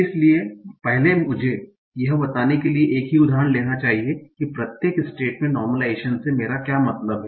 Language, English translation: Hindi, So first let me take the same example to explain what do I mean by normalization at each state